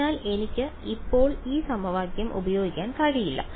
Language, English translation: Malayalam, So, I cannot actually use this equation right now